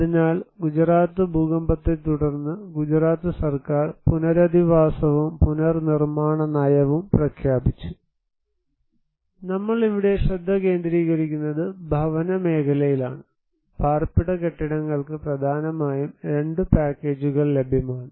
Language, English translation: Malayalam, So, after the Gujarat earthquake, the Gujarat Government declared rehabilitation and reconstruction policy, we are focusing here at the housing sector, residential buildings, there were mainly 2 packages were available